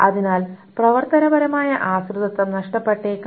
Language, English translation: Malayalam, So functional dependencies may be lost